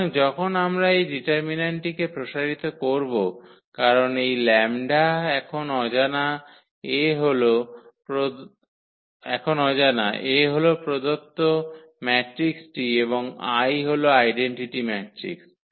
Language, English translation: Bengali, So, when we expand this determinant because, this lambda is the unknown now A is a given matrix and I is the identity matrix